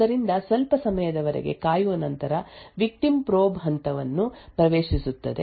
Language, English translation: Kannada, So, after waiting for some time the victim enters the probe phase